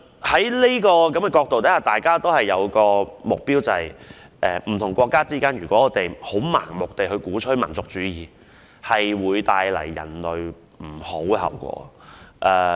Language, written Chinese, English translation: Cantonese, 從這個角度看，大家也有一個共同目標，相信不同國家如盲目鼓吹民族主義，將會為人類帶來惡果。, From this perspective we can see that everyone has a common goal and they believe that if countries blindly advocate nationalism it will bring evil consequences to the human race